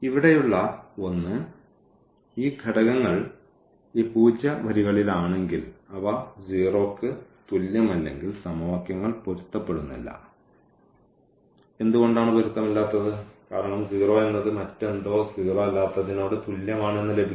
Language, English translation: Malayalam, The one here is that if these elements here if these elements yeah if these elements here in this zero rows; if they are not equal to 0 and if they are not equal to 0 then the equations become inconsistent and why inconsistent because we have the situation that 0 is equal to something nonzero which we have already discussed in the previous lecture